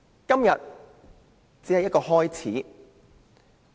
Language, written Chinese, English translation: Cantonese, 今天只是一個開始。, Today is just the beginning